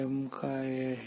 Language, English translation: Marathi, What is R m